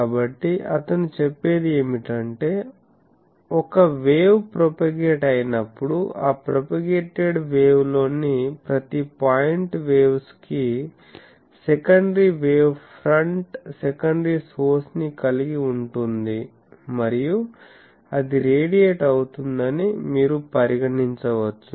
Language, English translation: Telugu, So, what he says that when a wave propagates, so every point on that propagated wave that waves has a secondary wave front secondary source and that you can consider that that is radiating